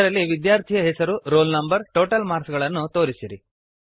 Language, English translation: Kannada, *In this, display the name, roll no, total marks of the student